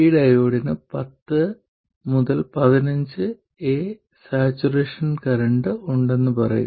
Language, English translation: Malayalam, I'll say that this diode has a saturation current of 10 to the minus 15 ampers